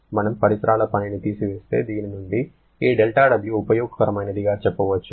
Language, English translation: Telugu, If we subtract surrounding work, you are going to get this del W useful from this